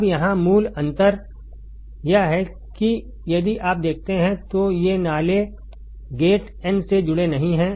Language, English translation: Hindi, Now the basic difference here is that if you see, the drain gate n source these are not connected